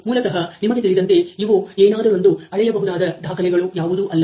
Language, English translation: Kannada, So, basically these are something which there is no measurable pieces of recording you know